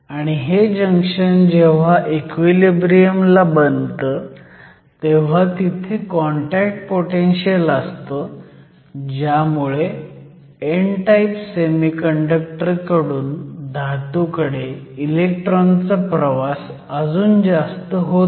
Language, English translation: Marathi, And, when this junction forms under equilibrium you have a contact potential that prevents further motion of electrons from the n type semiconductor to the metal